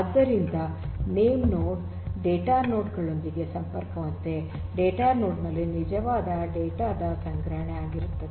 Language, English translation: Kannada, So, name nodes are connected to the data nodes which are actually the once where the storage of the actual data is done